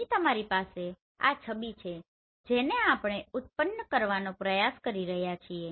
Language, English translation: Gujarati, Here you have this image which we are trying to generate